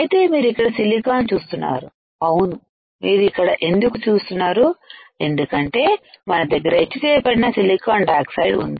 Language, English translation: Telugu, So, you can see here silicon right what you can see here is silicon here and here why because we have etched the silicon dioxide